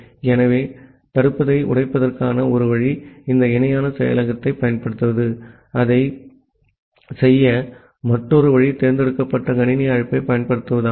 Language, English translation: Tamil, So, one way to break the blocking is using this parallel implementation another way to do that thing is to use the select system call